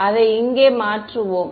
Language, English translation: Tamil, So, we will just substitute it over here